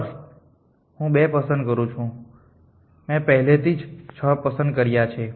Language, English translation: Gujarati, I choose 2, I already chosen 6